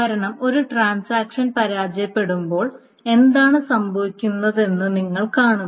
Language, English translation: Malayalam, Because you see what happens is when a transaction fails, what happens